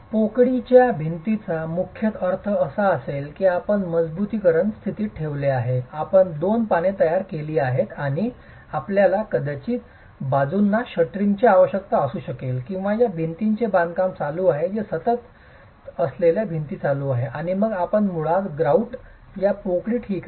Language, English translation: Marathi, The cavity walls would primarily mean you have placed the reinforcement in position, you have constructed the two leaves and you might need shuttering on the sides or depends on whether there is wall construction that is continuing, return walls that are continuing and then you basically grout that cavity